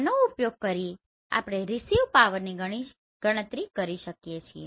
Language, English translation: Gujarati, Using this we have calculated the received power right